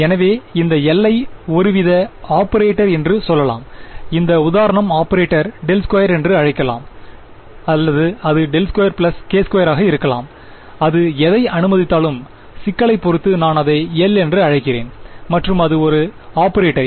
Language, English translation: Tamil, So, I am going to say that let us say that this L is some kind of an operator, this example of an operator can be let us say del squared or it can be del squared plus k squared depends on the problem whatever it is let me call it L and its an operator